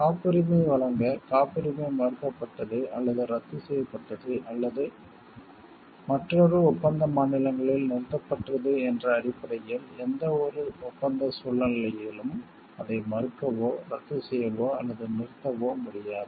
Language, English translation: Tamil, To grant a patent, a patent cannot be refused annulled or terminated in any contracting state on the ground that it has been refused or annulled or has been terminated in other contracting state